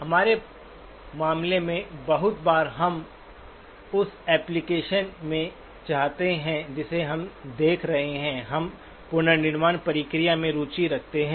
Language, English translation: Hindi, In our case, very often we do want to in the application that we are looking at, we are interested in the reconstruction process